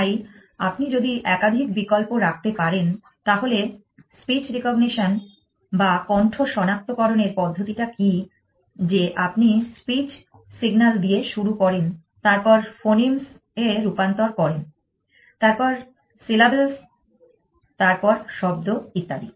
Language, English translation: Bengali, So, if you can keep more than one option, so what is the problem in speak recognition that you start with the speak signal then converted into phonemes, then syllabus then words and so on